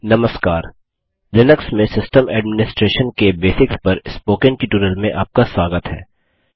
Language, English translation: Hindi, Hello and welcome to the Spoken Tutorial on Basics of System Administration in Linux